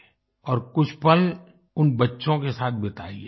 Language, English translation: Hindi, And spend some moments with those children